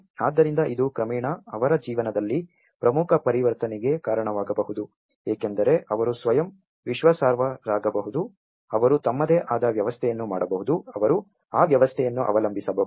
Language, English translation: Kannada, So, this can gradually lead to an important transition in their lives because they can be self reliable, they can make their own system, they can rely on that system they can